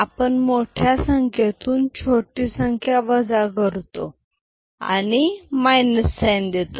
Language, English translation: Marathi, We subtract from the we put a minus sign and subtract from the larger number ok